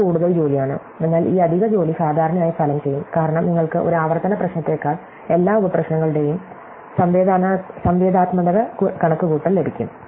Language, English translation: Malayalam, So, it is more work, but this extra work usually pays off, because then you can get an interactive computation of all the subproblems rather than a recursive one